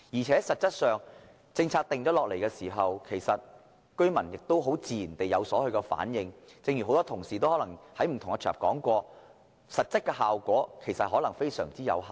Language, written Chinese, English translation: Cantonese, 實際上，在制訂政策後，居民自然會有所反應；正如很多同事在不同場合已提過，這做法的實際效果可能非常有限。, But in reality the tenants would react to the new policy differently . As mentioned by many Honourable colleagues on different occasions the arrangement may only achieve very limited effect